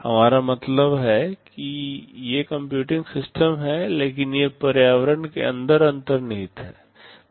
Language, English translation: Hindi, We mean these are computing systems, but they are embedded inside the environment